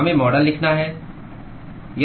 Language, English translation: Hindi, We have to write the model